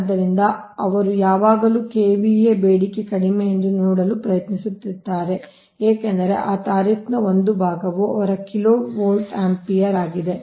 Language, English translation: Kannada, so thats why they will always try to see that kva demand is less because they one part of that tariff is based on their kilo volt, ampere or kva demand